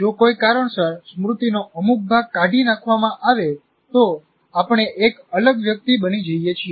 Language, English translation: Gujarati, If the some part of the memory for some reason is removed, then we become a different individual